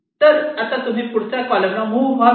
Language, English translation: Marathi, so now you move to the next columns